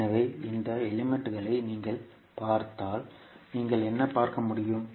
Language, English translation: Tamil, So, if you see this particular component what you can see